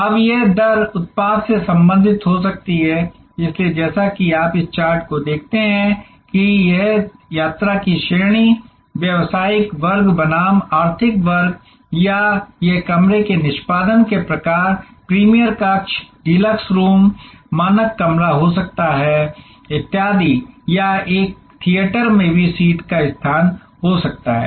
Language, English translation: Hindi, Now, this rate fences can be product related, so as you see on this chart that they can be like class of travel, business class versus economic class or it could be the type of room executing room, premier room, deluxe room, standard room etc in a hotel or it could be seat location in a theater